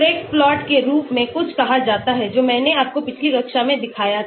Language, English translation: Hindi, There is something called as Craig plot which I showed you in the previous class